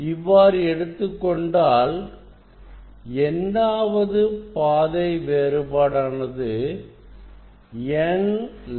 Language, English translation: Tamil, that will be when it is nth path difference will be n lambda